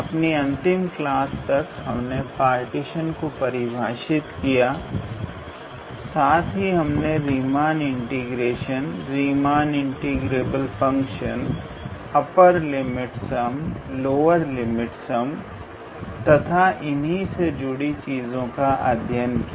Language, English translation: Hindi, So up until last class we saw the definitions of partition of a set and we also looked into the in how to say, Riemann integration and Riemann integrable functions, upper limit, lower limit sum, upper limit sum, and things like that